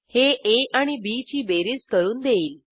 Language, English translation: Marathi, It returns sum of a and b